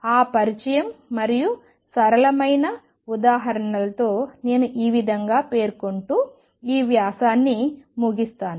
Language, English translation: Telugu, With that introduction and simple example I conclude this lecture by stating that number 1